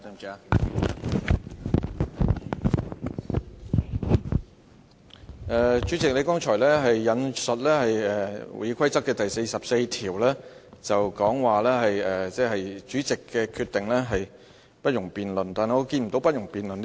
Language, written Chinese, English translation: Cantonese, 主席，你剛才引述《議事規則》第44條，說主席的決定是不容辯論的，但我看不見該條載有"不容辯論"這4字。, President you quoted RoP 44 just now saying that no debate on the Presidents decision was allowed . But I cannot see the four words no debate is allowed in that Rule